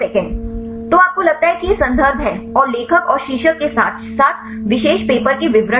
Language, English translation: Hindi, So, you get is references these are the authors and the title as well as the details of the particular paper fine